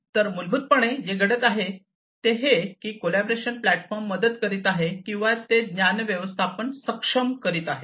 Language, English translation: Marathi, So, basically what is happening essentially is this collaboration platform is helping or, enabling knowledge management, it is enabling knowledge management